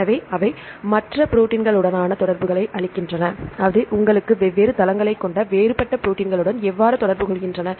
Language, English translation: Tamil, So, they give the interaction with the other proteins, how they are interacting with the different other proteins you had different sites